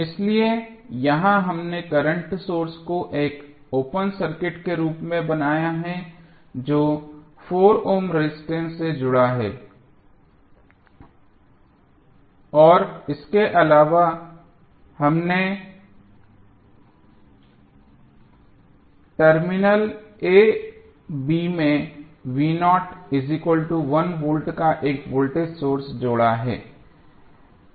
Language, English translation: Hindi, So, here we have made the current source as open circuit which was connected across 4 ohm resistance and additionally we have added one voltage source across terminal a, b that is v naught is equal to 1 V